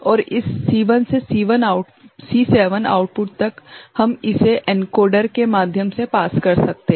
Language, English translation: Hindi, And from that this C1 to C7 output we can pass it through an encoder ok